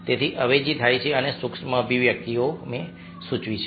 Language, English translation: Gujarati, so substitution takes place, as and micro expressions have indicated